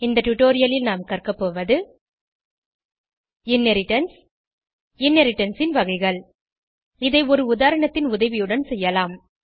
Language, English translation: Tamil, In this tutorial we will learn, Inheritance Types of inheritance We will do this with the help of examples